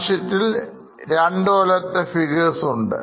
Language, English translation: Malayalam, Now, balance sheet also we have got figures for two years